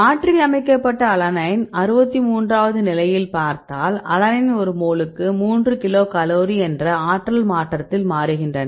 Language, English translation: Tamil, There is specifically if you tell look at this replaced plain alanine at the position number 63 to alanine they change at the free energy change of 3 kilocal per mole